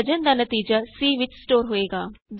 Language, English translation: Punjabi, The result of division is stored in c